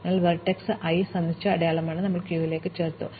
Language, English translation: Malayalam, So, vertex i is marked as visited and we added to the queue